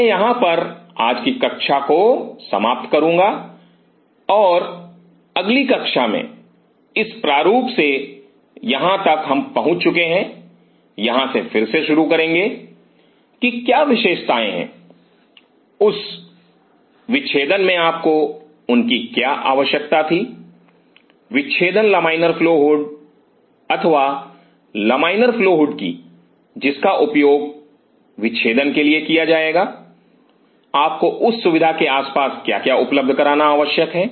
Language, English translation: Hindi, I will close in here the today’s class and the next class from this design this is how far we have reach will resume from here what are the features what you needed them in that dissection dissecting laminar flow hood flow or the laminar flow hood which will be used for dissection, what all things you needed to be provided in an around that facility Thank you, and thanks for listen to this lecture